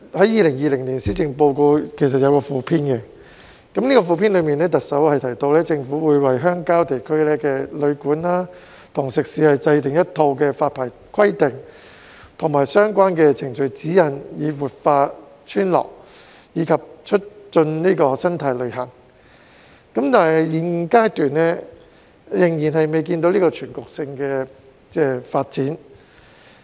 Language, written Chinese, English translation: Cantonese, 2020年施政報告其實有一個附篇，當中行政長官提到，政府會為鄉郊地區的旅館和食肆制訂一套發牌規定及相關程序指引，以活化村落及促進生態旅遊，但是，現階段仍未見全局性的發展。, The 2020 Policy Address actually contains a Supplement where the Chief Executive says that the Government will develop a set of licensing requirements and procedural guidelines designed especially for guesthouses and catering businesses in countryside areas so as to revitalize desolate villages and support eco - tourism . But at this moment we still cannot see any macroscopic development